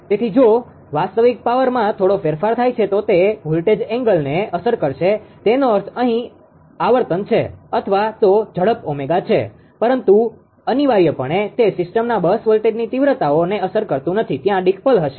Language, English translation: Gujarati, So, if there is a small change in real power then it will affect that your what you call the voltage angle; that means, the frequency here or here is the speed that is omega right , but leaves the bus voltage magnitude essentially unaffected of the system, there will be decoupled